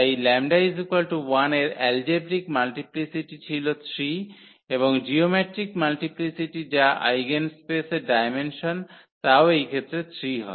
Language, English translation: Bengali, So, the algebraic multiplicity of lambda 1 was 3 and also the geometric multiplicity which is the dimension of the eigenspace that is also 3 in this case